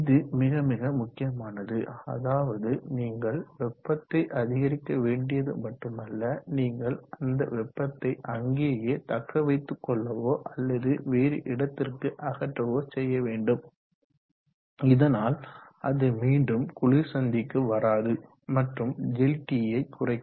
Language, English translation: Tamil, So it becomes very, very important that not only do you have to pump the heat up, you should retain that heat there or remove it elsewhere, so that it does not come back to the cold junction and reduce the